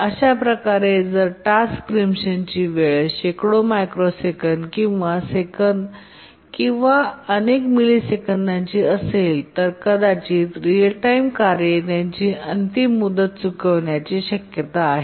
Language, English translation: Marathi, So if the task preemption time is hundreds of microseconds or a second or several milliseconds, then it's likely that the hard real time tasks will miss their deadline